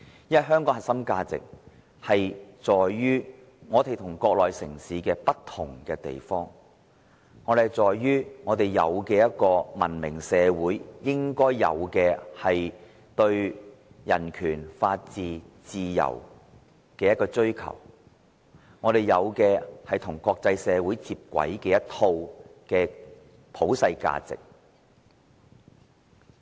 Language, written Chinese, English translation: Cantonese, 因為香港的核心價值在於我們與國內城市不同之處，在於我們有文明社會應該有的對人權、法治和自由的追求，與國際社會接軌的一套普世價值。, For the core values of Hong Kong lie in our difference from cities in the Mainland that we aspire for human rights the rule of law and freedom which a civil society should have and that we have a set of universal values compatible with the international community